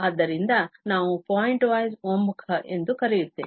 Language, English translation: Kannada, So, that is what we call the pointwise convergence